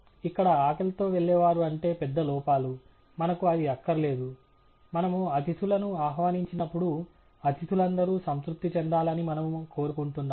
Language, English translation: Telugu, What we mean by hungry is here large errors; we do not want that; when we invite guests, we want all guests to actually go satisfied